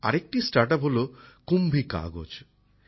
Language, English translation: Bengali, Another StartUp is 'KumbhiKagaz'